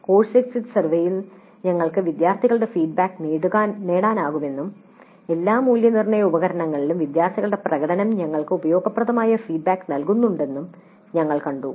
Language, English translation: Malayalam, We also saw that during the course exit survey we can get student feedback and student performance in all assessment instruments itself constitutes useful feedback for us